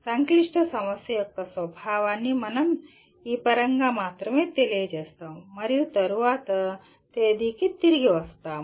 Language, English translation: Telugu, We just state the nature of a complex problem only in terms of this and we will come back to that at a later date